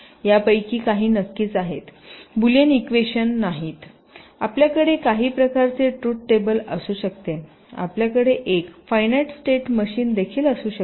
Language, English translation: Marathi, for example, boolean equations can be specifications, truth tables, finite state machines and etcetera